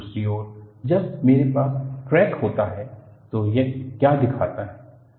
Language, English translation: Hindi, On the other hand, when I have a crack, what does it show